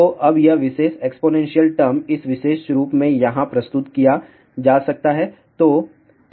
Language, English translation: Hindi, So, now this particular exponential term can be represented in this particular form here